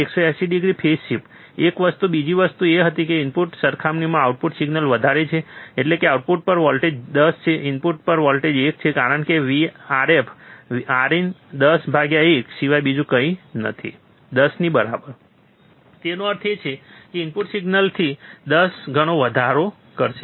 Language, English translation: Gujarati, 180 degree phase shift, one thing, second thing was that the output signal is higher compared to the input, that is the voltage at output is 10, voltage at input is 1, because R f by R in R f by R in is nothing but 10 by 1 which is equals to 10; that means, it will amplify by 10 times the input signal